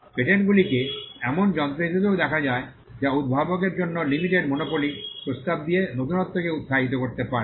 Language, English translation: Bengali, Patents are also seen as instruments that can incentivize innovation by offering a limited monopoly for the inventor